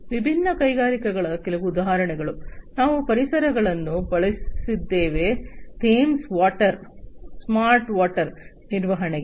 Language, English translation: Kannada, So, some of the examples of different industries, which I have used the solutions are Thames water for smart water management